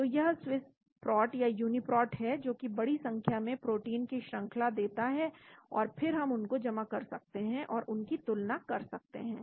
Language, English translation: Hindi, So this is Swiss prot or Uniprot which gives the sequence of a large number of proteins , and then we can submit them and compare them